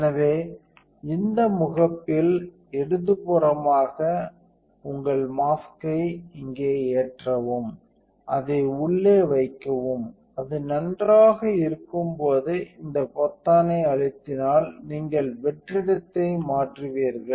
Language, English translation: Tamil, So, you load your mask in here by left in this crip here and putting it in and when it is in nice, you hit this button called enter you would toggle the vacuum